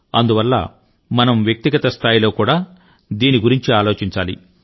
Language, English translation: Telugu, Therefore, we have to ponder over this issue on individual level as well